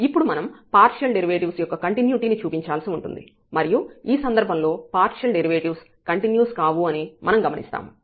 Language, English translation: Telugu, So, what is now to show, that we will go to the continuity of the partial derivatives and we will observe that the partial derivatives are not continuous in this case